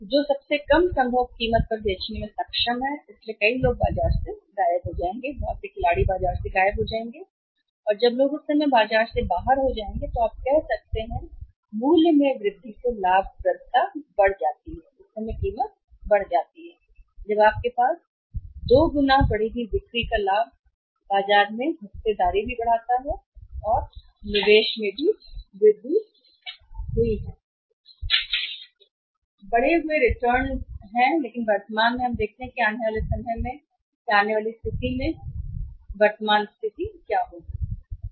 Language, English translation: Hindi, Who is able to sell at the lowest possible price so many people will vanish from the market many players will vanish from the market and when the people got off the market at that time you can check up the price increase the profitability increase the price at that time you have the double advantage of increased sales also increase market share also and increased investment also and increased returns also but currently we see that is a situation to come in the say time to come but currently be see the situation what is the situation is